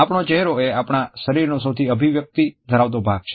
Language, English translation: Gujarati, Our face is the most expressive part of our body